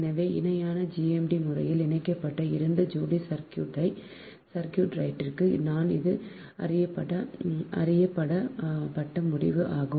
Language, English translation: Tamil, so this is well known result for the two couple circuit right connected in parallel